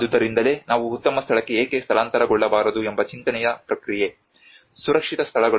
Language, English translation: Kannada, So that is where the thought process of why not we relocate to a better place; a safer places